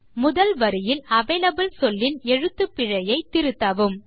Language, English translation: Tamil, Correct the spelling of avalable in the first line